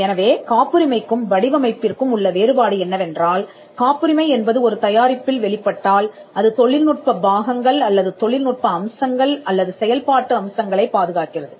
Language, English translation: Tamil, So, the difference between a patent and a design is that the patent if it manifests in a product, the patent protects the technical parts or the technical aspects or the functional aspects, whereas the design is for the non functional aspects of a product